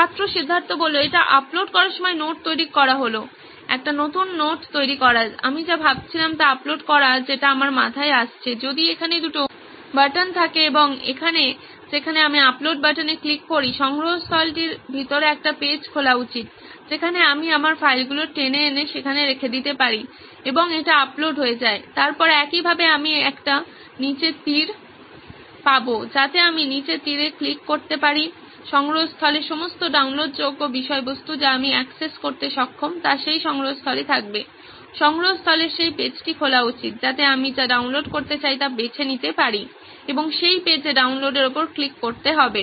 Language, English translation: Bengali, This is more of creating the note on uploading, creating a new note this would be, uploading what I was thinking which is popped into my head what will have is two buttons here and here where if I click on the upload button, a page inside the repository should open, where I can drag my files and drop it into there and it gets uploaded, then similarly I will have a down arrow which I click on the down arrow, all the downloadable content in the repository which I am enable to access will be there in that repository, that page in the repository should open, so that I can choose what I want to download and click on download in that, in that page